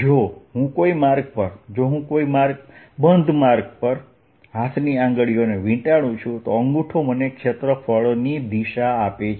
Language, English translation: Gujarati, that means if i curl my fingers around the path, the thumb gives me the direction of the area